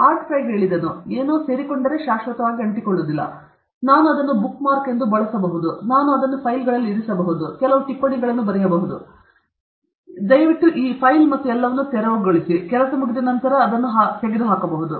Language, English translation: Kannada, Art Fry said, if something is there which attaches, but does not attach permanently, I can use it as a bookmark; I can put it on files, and I can write some notes please clear this file and all; then, it can be removed whenever the job is over